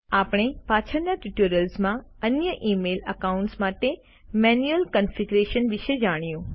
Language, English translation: Gujarati, We shall learn about manual configurations for other email accounts in later tutorials